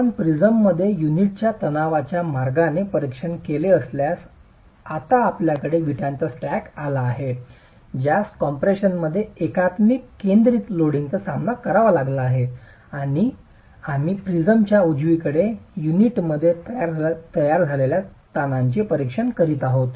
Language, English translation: Marathi, If you were to examine the stress path of the unit in the prism itself, now you've got the stack of bricks which is being subjected to uniaxial concentric loading in compression and we are examining the stresses formed in the unit in the prism